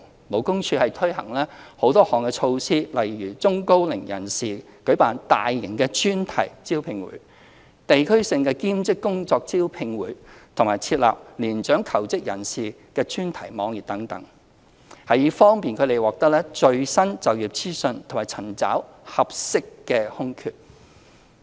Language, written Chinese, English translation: Cantonese, 勞工處已推行多項措施，例如為中高齡人士舉辦大型專題招聘會、地區性兼職工作招聘會及設立年長求職人士專題網頁等，以方便他們獲得最新就業資訊和尋找合適的空缺。, The Labour Department LD has implemented various measures such as organizing large - scale job fairs for the elderly and the middle - aged and district - based job fairs on part - time employment and establishing a dedicated webpage for mature job seekers to facilitate their access to updated employment information and search for suitable job vacancies